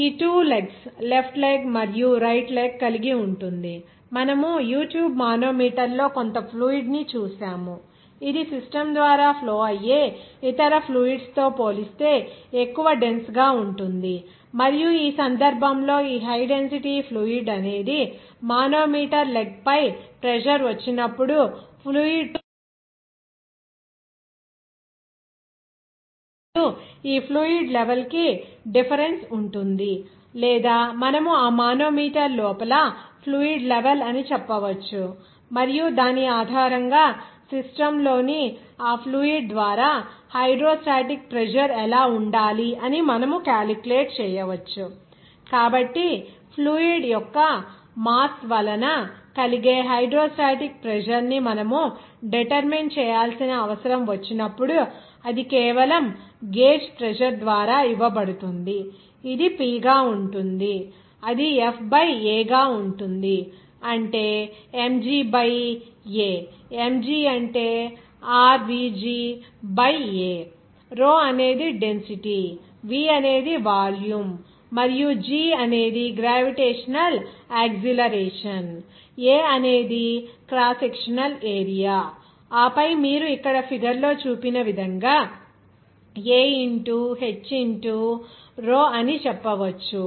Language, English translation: Telugu, It will have two legs, the left leg and right leg, you will see the U tube manometer some fluid that will be higher in dense relative to other fluid that is flowing through the system and in this case this higher density fluid whenever pressure will be subjected on this manometer leg, you will see that the fluid will be moving up little bit and there will be a difference of this fluid level or you can say that liquid level inside that manometer and based on which you can calculate what should be the hydrostatic pressure exerted by that fluid in the system